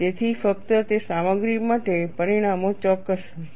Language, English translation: Gujarati, So, only for those materials the results will be exact